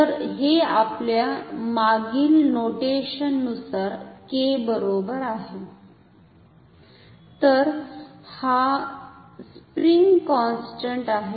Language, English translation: Marathi, So, this is equal to k according to our previous notation ok, so this is spring constant